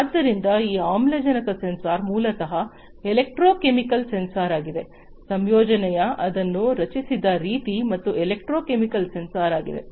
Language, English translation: Kannada, So, this oxygen sensor is basically it is a electrochemical sensor, the composition is you know the way it is fabricated it is a electrochemical sensor